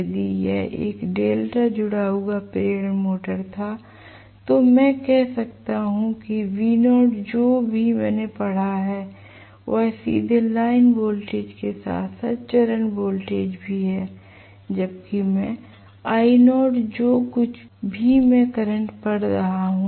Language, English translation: Hindi, If it had been a delta connected induction motor, I can say v naught whatever I read is directly line voltage as well as phase voltage whereas I naught whatever I am reading current